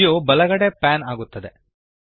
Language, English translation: Kannada, The view pans to the right